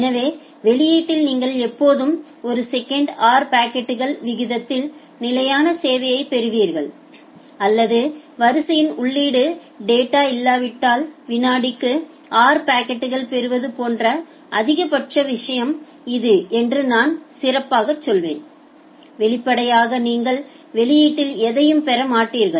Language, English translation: Tamil, So, at the output you will always get a constant rate service at r packets per set or I will better say it is the maximum thing like you will get maximum at r packets per second if there is no input data in the queue; obviously, you will not get anything at the output